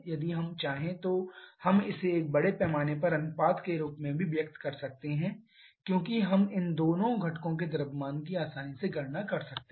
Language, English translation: Hindi, If we want we can also express this one as a mass ratio because we can easily calculate the mass of both these two components